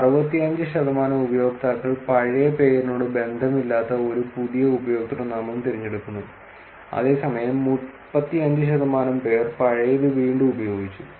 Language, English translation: Malayalam, 65 percent of users choose a new username unrelated to the old name, while 35 percent reused an old one sometime later